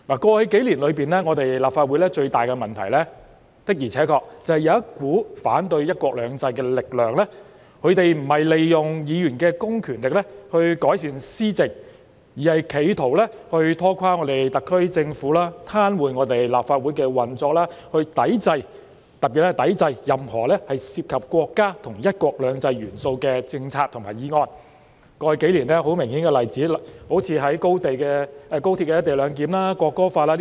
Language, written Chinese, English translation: Cantonese, 過去數年，立法會最大的問題的而且確便是有一股反對"一國兩制"的力量，不是利用議員的公權力以改善施政，而是企圖拖垮特區政府的施政、癱瘓立法會的運作，特別是抵制任何涉及國家和"一國兩制"元素的政策和議案；過去數年，很明顯的例子是有關高鐵"一地兩檢"和《國歌條例》。, In the past few years the gravest problem in the Legislative Council was indeed the force of opposition to one country two systems . Instead of making use of the public mandate of Members to improve governance they are trying to cripple the administration of the SAR Government and paralyse the operation of the Legislative Council especially by resisting the passage of any policies and motions that involve the elements of the country and one country two systems . In the past few years some obvious examples are the co - location arrangement for the Hong Kong Section of the Guangzhou - Shenzhen - Hong Kong Express Rail Link and the National Anthem Ordinance